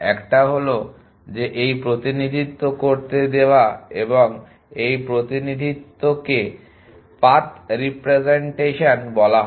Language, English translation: Bengali, One is that given this representation and this representation is called the path representation